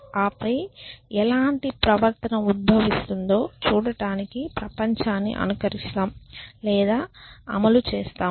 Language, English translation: Telugu, And then simulate or run the world to see how what kind of behavior would emerge essentially